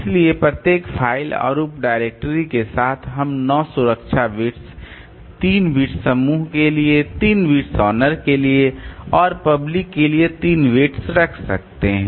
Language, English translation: Hindi, So, with each file and sub director we can keep nine protection bits, three bits for owner, three beats per group and three bits for public